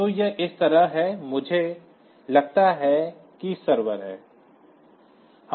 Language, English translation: Hindi, So, it is like this I think there are server